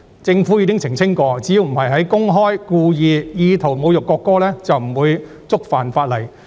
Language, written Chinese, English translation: Cantonese, 政府亦曾澄清，只要不是公開、故意及有意圖侮辱國歌，便不會觸犯法例。, The Government has also clarified that it will not violate the law as long as the national anthem is not insulted publicly deliberately and intentionally